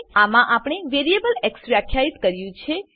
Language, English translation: Gujarati, In this we have defined a variable x